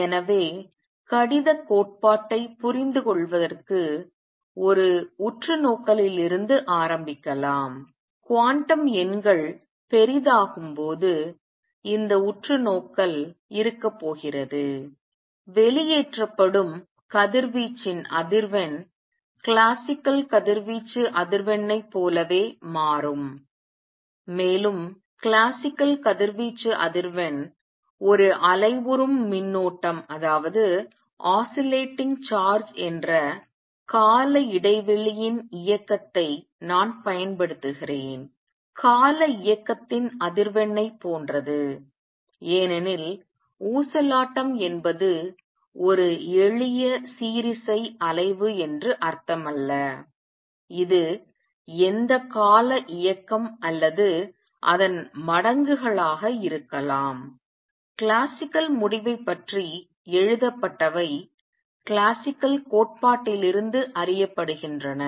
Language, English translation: Tamil, So, to understand correspondence principle let us start with an observation and this observation is going to be as the quantum numbers become large, the frequency of radiation emitted becomes the same as classical radiation frequency and let me also remind you that the classical radiation frequency from an oscillating charge is the same as the frequency of periodic motion notice that I am using word periodic motion because oscillation does not mean a simple harmonic oscillation, it could be any periodic motion or its multiples, what are written about classical result is known from classical theory